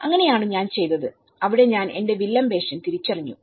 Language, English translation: Malayalam, So that is what I was doing and there I realize a villain role in myself